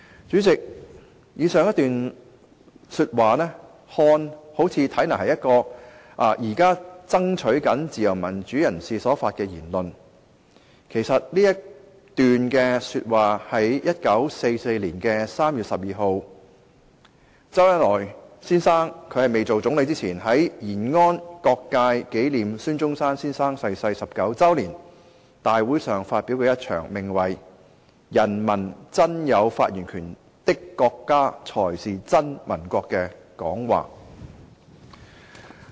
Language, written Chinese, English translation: Cantonese, "主席，以上一段話看來好像是現時爭取自由民主的人士所發表的言論，但其實這是周恩來先生擔任總理之前，在1944年3月12日延安各界紀念孫中山先生逝世19周年大會上發表，名為"人民真有發言權的國家才是真民國"的演辭。, President the above passage looks as if they are the words spoken by a person striving for democracy and freedom at our time . But it actually comes from an address titled A true republic is where people of the country truly have the right to speak given by Mr ZHOU Enlai before he became the Premier at a meeting held on 12 March 1944 for all sectors of Yanan to commemorate the 19 anniversary of the death of Dr SUN Yat - sen